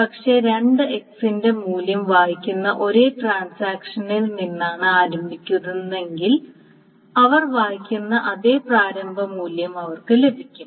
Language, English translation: Malayalam, But if both of them starts from the same transaction that reads the value of X, then of course they get the same initial value that is read